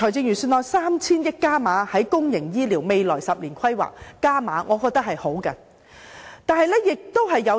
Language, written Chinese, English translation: Cantonese, 預算案為公營醫療未來10年的規劃增撥 3,000 億元，我認為是好的。, The Budget has allocated an additional 300 billion for the 10 - year development plan on public health care services . I think that is a good measure